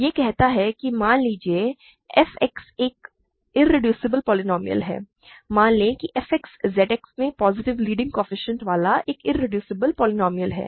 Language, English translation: Hindi, It says that let f X be an irreducible polynomial; let f X be an irreducible polynomial in Z X with positive leading coefficient